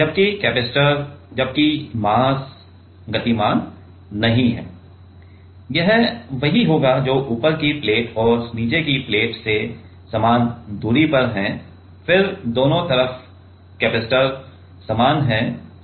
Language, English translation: Hindi, While the capacitor; while the mass is not moving; it will it is from the same it is at the same distance from the top plate and bottom plate, then the capacitor on both the sides are same